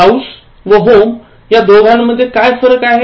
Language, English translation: Marathi, What is the difference between house and home